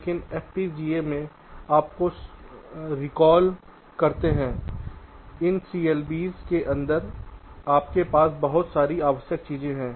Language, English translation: Hindi, but in fpga you recall, inside this clbs your have lot of unnecessary things